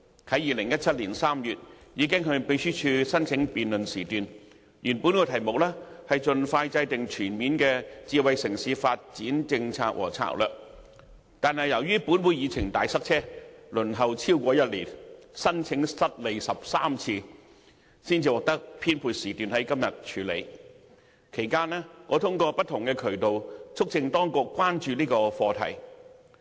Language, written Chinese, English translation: Cantonese, 在2017年3月，我已經向秘書處申請辯論時段，原本的議題是"盡快制訂全面的智能城市發展政策和策略"，但由於本會議程"大塞車"，在輪候超過1年，申請失利13次後，才獲得編配時段在今天處理，其間我通過不同渠道，促請當局關注這個課題。, In March 2017 I already applied to the Secretariat for a debate slot and the original subject was Expeditiously formulating comprehensive policies and strategies on the development of a smart city . But given the serious congestion of Agenda items in the Council I can only secure a slot for it to be dealt with today after more than a year of waiting and 13 unsuccessful attempts during which I urged the authorities to show concern for this issue through various channels